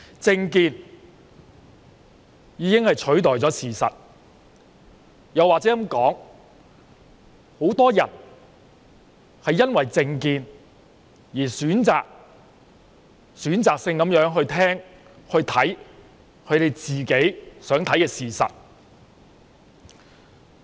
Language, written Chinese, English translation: Cantonese, 政見已經取代了事實，又或者應該說，很多人因為政見而選擇性地聆聽和觀看自己想看到的事實。, Political views have replaced facts . Or I should say many people listen to views selectively and only look at the facts they wish to see owing to their political views